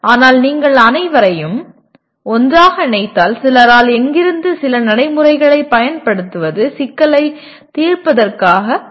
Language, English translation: Tamil, But if you put all of them together, anywhere from some people mere application of some procedure is considered problem solving